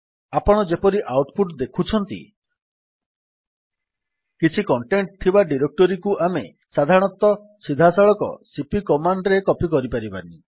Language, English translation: Odia, As you can see from the output message, normally we cannot copy a directory having some content directly with cp command